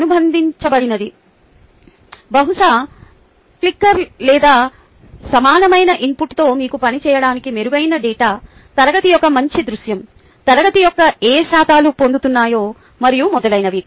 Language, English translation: Telugu, you know, associated probably probably with clicker or equivalent input would give you a much better ah data to work with, much better ah view of the class, what percentages of the class is getting it, and so on